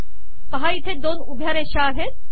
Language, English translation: Marathi, See there are two vertical lines